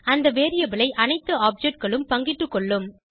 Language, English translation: Tamil, All the objects will share that variable